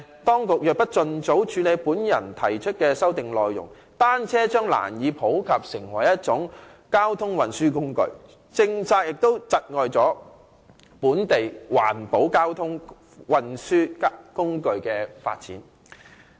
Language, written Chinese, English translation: Cantonese, 當局若不盡早處理我提出的修正案的內容，單車將難以普及成為一種交通運輸工具，有關政策亦窒礙本地環保交通運輸工具的發展。, Should the authorities fail to deal with my amendment expeditiously bicycles can hardly become a mode of transport . The development of green modes of transport in Hong Kong will be stifled by the relevant policy too